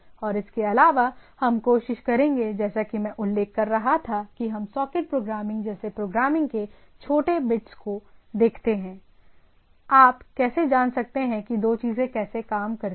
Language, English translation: Hindi, And also, we will try to, as I was mentioning that we look at little bit of programming like socket programming; how you can how two things works and etcetera right